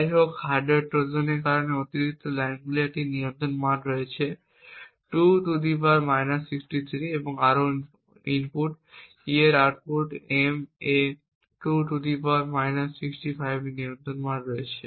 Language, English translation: Bengali, However, the additional lines which is due to the hardware Trojan has a control value of 2 ^ , further the input E has a control value of 2 ^ on the output M